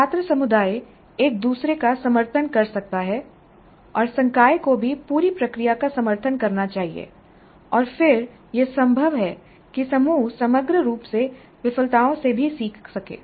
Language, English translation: Hindi, The student community can support each other and faculty also must support the entire process and then it is possible that the group as a whole can learn from failures also